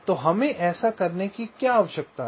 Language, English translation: Hindi, so what do we need to do this